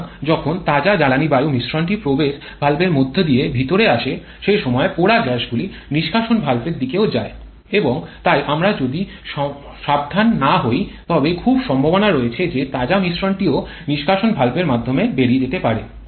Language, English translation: Bengali, So, while fresh fuel air mixture is coming in through the inlet valve the burnt gases are also going out to the exhaust valve and therefore if we are not careful there is very much a possibility that fresh mixture can also go out through the exhaust valve